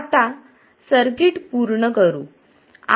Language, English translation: Marathi, This is the complete circuit